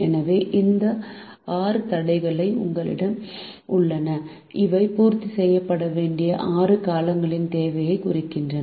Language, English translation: Tamil, so we have these six constraint which represent the requirement of the six periods to be met